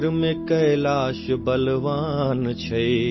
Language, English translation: Hindi, Kailash is strong in the north,